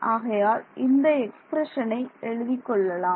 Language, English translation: Tamil, So, this expression let me write it